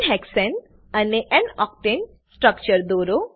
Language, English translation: Gujarati, Draw structures of n hexane and n octane 2